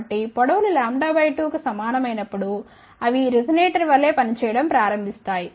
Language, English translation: Telugu, So, when the length becomes equal to lambda by 2, they start acting like a resonator